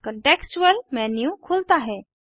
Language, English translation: Hindi, A Contextual menu opens